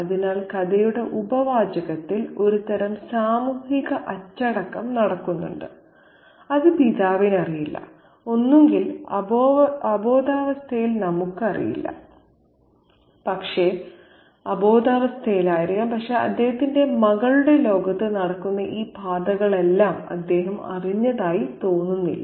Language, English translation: Malayalam, So, there is some kind of social disciplining happening in the subtext of the story of which the father is unaware of either unconsciously we don't know, but he doesn't seem to be aware of all these trajectories that are ongoing in the world of his daughter